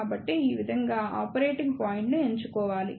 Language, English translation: Telugu, So, this is how one should choose the operating point